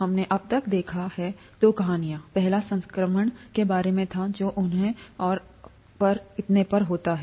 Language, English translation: Hindi, We have seen two stories so far, the first one was about infection, what causes them and so on